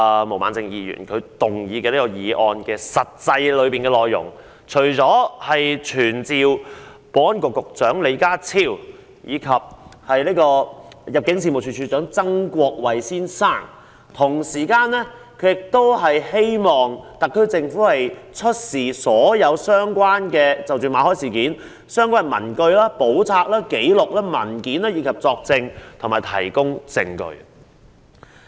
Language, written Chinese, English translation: Cantonese, 毛孟靜議員動議的議案，除傳召保安局局長李家超及入境事務處處長曾國衞外，同時要求特區政府出示所有與馬凱事件相關的文據、簿冊、紀錄或文件，以及作證和提供證據。, The motion moved by Ms Claudia MO does not only seek to summon Secretary for Security John LEE and Director of Immigration Erick TSANG to attend before the Council but also request the SAR Government to produce all papers books records or documents and to testify or give evidence in relation to the Victor MALLET incident